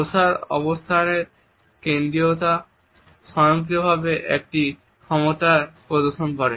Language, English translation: Bengali, The centrality of seating position automatically conveys a power play